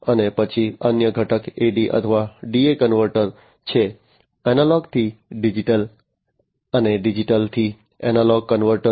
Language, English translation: Gujarati, And then the other component is the AD or DA converter, Analog to Digital and Digital to Analog converter